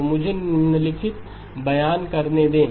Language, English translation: Hindi, So let me make the following statements